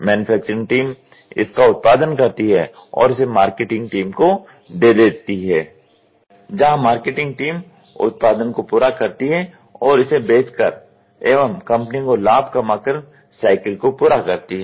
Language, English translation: Hindi, Manufacturing team produces and give it is to the marketing team where marketing team finishes the product and complete cycle by doing sale and making profit to the company